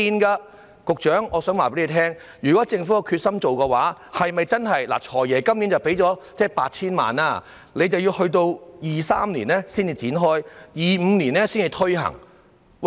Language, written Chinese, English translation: Cantonese, 局長，我想告訴你，如果政府有決心做的話，是否真的......"財爺"今年撥出 8,000 萬元，但要到2023年才展開試驗計劃，到2025年才推行。, Secretary I want to tell you that if the Government is determined to do so it is really the Financial Secretary will allocate 80 million this year for the trial scheme which will only commence in 2023 and implemented in 2025